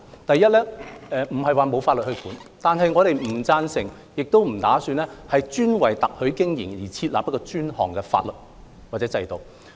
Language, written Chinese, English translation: Cantonese, 第一，現時並非沒有法例規管特許經營，但我們不贊成亦不打算為特許經營設立專項法例或制度。, First it is not true that at present we do not have legislation to regulate the franchising - related business but we do not endorse or plan to introduce dedicated legislation or regulatory system specific to franchasing